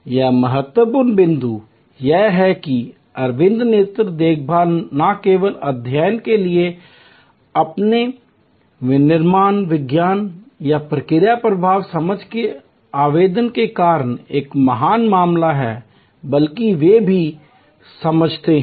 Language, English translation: Hindi, Important point here that Aravind eye care is a great case to study not only because of their application of manufacturing science or process flow understanding they also understand